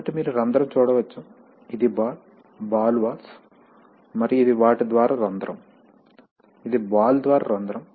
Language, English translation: Telugu, So you can see the hole, this is the ball, these ball valves and this is the hole through them, this is the hole through the ball